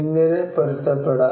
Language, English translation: Malayalam, How to adapt